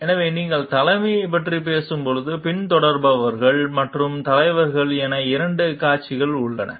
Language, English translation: Tamil, So, when you are talking of leadership, there are two parties, the followers and the leaders